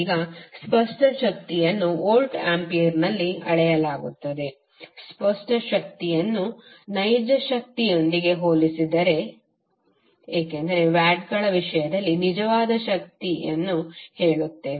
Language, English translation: Kannada, Now the apparent power is measured in volts ampere just to distinguish it from the real power because we say real power in terms of watts